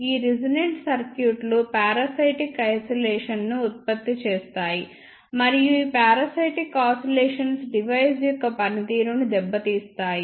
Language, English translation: Telugu, And these resonant circuits produced parasitic oscillations and these parasitic oscillations will import the performance of the device